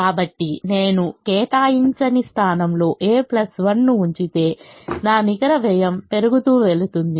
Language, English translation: Telugu, so if i put a plus one in this unallocated position, my net cost is going to increase